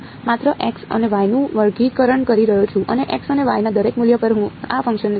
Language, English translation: Gujarati, I am just squaring x and y and at each value of x and y I am plotting this function ok